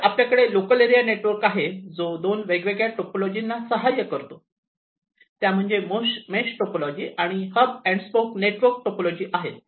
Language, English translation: Marathi, So, you have this local area network, which supports two different types of topologies, the mesh topology and the hub and spoke network topology